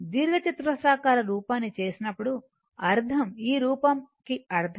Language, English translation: Telugu, I mean when you make the rectangular form, I mean this form, right